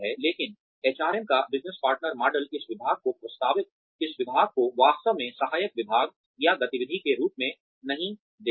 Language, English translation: Hindi, But, business partner model of HRM, sees this department as, not really as an assistive department or activity